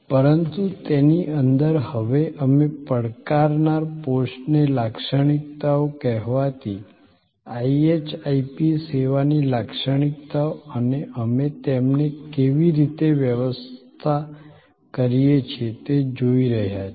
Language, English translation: Gujarati, But, within that we are now looking at the challengers post by the characteristics, the so called IHIP characteristics of service and how we manage them